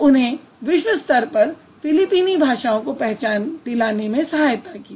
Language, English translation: Hindi, So, that helped a lot of Philippine languages to be or to get recognition at the world front